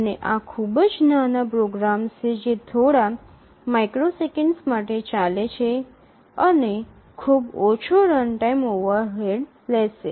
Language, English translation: Gujarati, And these are very small programs run for a few microseconds, just few lines of code and incur very less runtime overhead